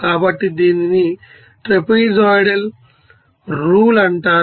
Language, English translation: Telugu, So, this is called trapezoidal rule